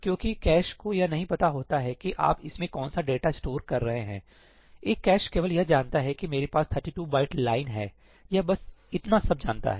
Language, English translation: Hindi, Because the cache does not know what is the data you are storing in it, a cache only knows that I have a 32 byte line, that is all it knows